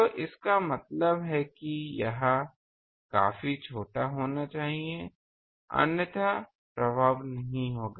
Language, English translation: Hindi, So that means, it should be quite small otherwise, there will be, the effects would not be there